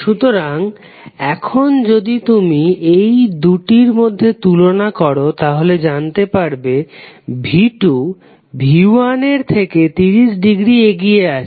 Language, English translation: Bengali, So now if you compare these two you will come to know that V2 is leading by 30 degree